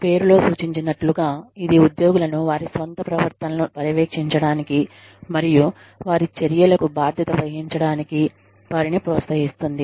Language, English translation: Telugu, Which essentially, as the name suggests, encourages employees, to monitor their own behaviors, and assume responsibility, for their actions